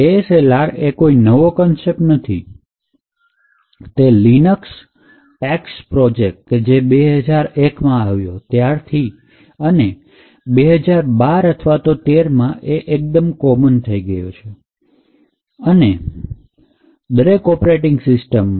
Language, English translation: Gujarati, So, the ASLR is not a new concept, it was initiated by the Linux PaX project in 2001 and since 2012 or 2013 it is becoming quite common and added by default in the operating system